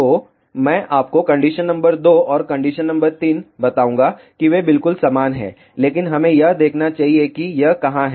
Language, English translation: Hindi, So, let me tell you condition number two and condition number three they are exactly same, but let us see where it is